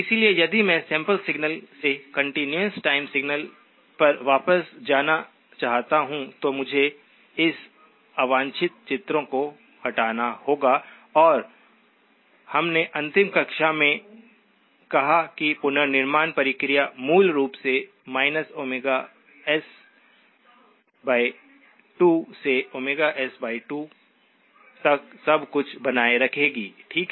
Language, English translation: Hindi, So if I want to go from the sampled signal back to the continuous time signal, then I must remove these unwanted images and we said in the last class that the reconstruction process, basically will retain everything from minus Omega S by 2 to Omega S by 2, okay